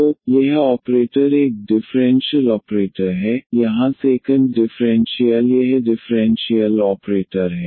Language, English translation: Hindi, So, this is the operator is a differential operator here the second order this differential operator